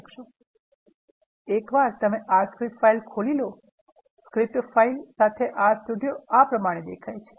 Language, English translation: Gujarati, Once you open an R script file, this is how an R Studio with the script file open looks like